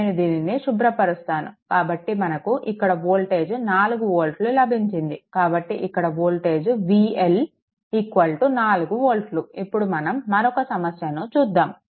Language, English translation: Telugu, So, let me clear it; So, that is that is why this is we have got that 4 volt right, here it is here it is 4 volt right V L is equal to so, next one varieties of problem we have taken